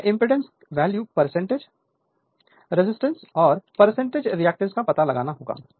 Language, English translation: Hindi, You have to find out the impedance value, percentage resistance and percentage reactance